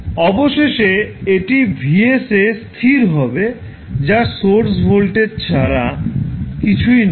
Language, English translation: Bengali, Finally, it will settle down to v value of vs which is nothing but the source voltage